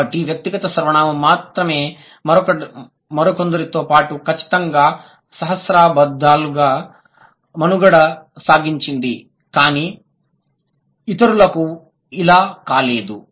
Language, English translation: Telugu, So, how come it is only the personal pronoun along with some others definitely survived the millennia but a lot of others and many others couldn't